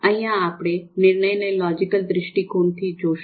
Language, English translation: Gujarati, So we look at decision making from the logical perspective